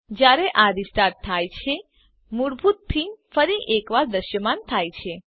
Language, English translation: Gujarati, When it restarts, the default theme is once again visible